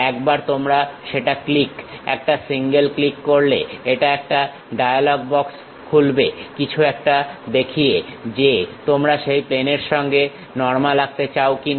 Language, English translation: Bengali, Once you click that a single click, it opens a dialog box showing something would you like to draw normal to that plane